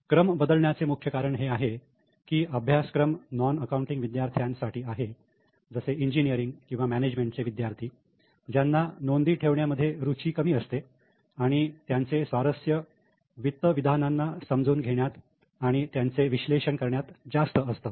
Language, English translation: Marathi, The main purpose of changing this sequence because this course is mainly for non accounting students like engineers or management students who are less interested in the recording they are more interested in reading and analyzing the statements